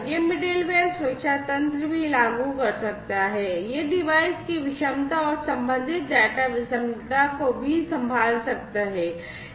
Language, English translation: Hindi, This middleware could also implement security mechanisms; it could also handle device heterogeneity and correspondingly data heterogeneity